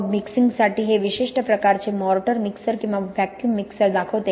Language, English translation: Marathi, Then for mixing this shows a typical kind of mortar mixer or vacuum mixer